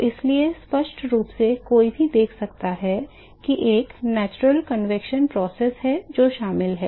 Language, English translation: Hindi, So, therefore, clearly one can see that, there is a natural convection process which is involved